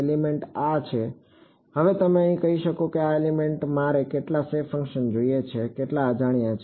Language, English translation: Gujarati, The element is this, now you can say in this element I want how many shape functions, how many unknowns